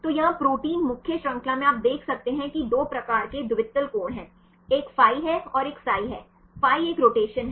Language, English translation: Hindi, So, here in the protein main chain you can see the 2 types of dihedral angles one is phi and one is psi, phi is a rotation along